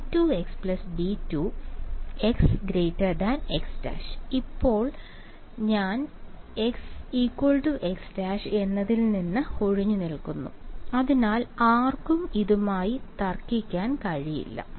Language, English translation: Malayalam, I have stayed clear of x equal to x prime for now ok, so no one can argue with this